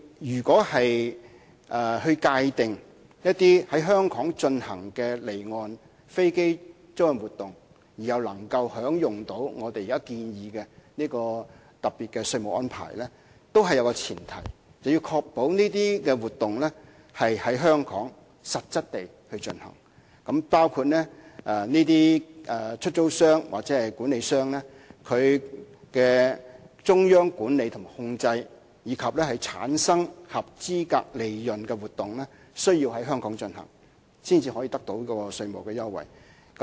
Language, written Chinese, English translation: Cantonese, 如果我們界定在香港進行的離岸飛機租賃活動，而又可以享用現時建議的特別稅務安排，當中也有一個前提，就是要確保這些活動是在香港實質地進行，包括出租商或管理商的中央管理及控制，以及產生合資格利潤的活動亦需要實質在香港進行，才可以得到稅務優惠。, In order to make it possible to include offshore aircraft leasing activities conducted in Hong Kong under the proposed tax regime a premise is adopted to ensure that such activities are conducted substantively in Hong Kong . The proposed tax concessions would thus only apply to lessors and managers which are corporations with central management and control in Hong Kong and the activities that produce its qualifying profits should also be carried out substantively in Hong Kong